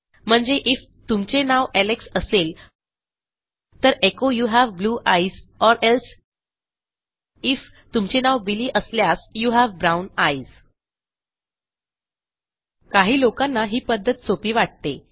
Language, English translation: Marathi, That is I could say IF your name is Alex then echo you have blue eyes or ELSE IF your name is Billy you have brown eyes Probably for some people its easy to do it this way